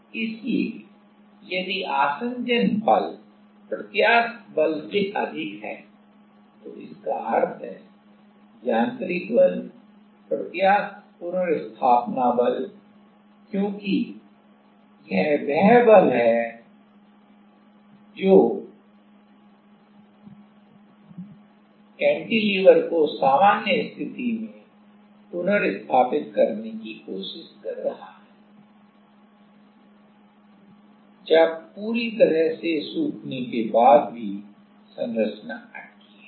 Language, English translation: Hindi, So, if the adhesion force is higher than elastic force means mechanical force, elastic restoring force, because this is the force, which is trying to restore the cantilever to it is normal position the structure remain stuck